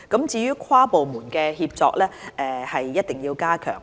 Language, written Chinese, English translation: Cantonese, 至於跨部門協作，則一定要加強。, Inter - departmental coordination must be strengthened